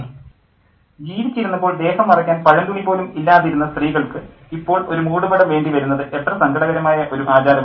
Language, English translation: Malayalam, What a sad custom that the woman who didn't even have rags to cover her body while she was alive now needed a shrub